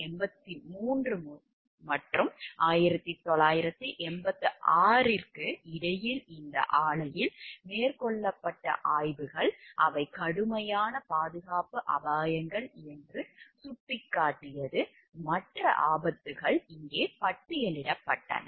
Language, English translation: Tamil, So, between 1983 and 1986 inspections at these plants indicated they were serious safety hazards, and the other hazards were listed over here